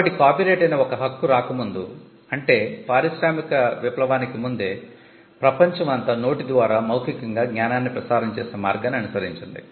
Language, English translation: Telugu, So, before copyright came, I mean this is just before the industrial revolution, the world followed a means of transmitting knowledge what we commonly called the oral formulaic tradition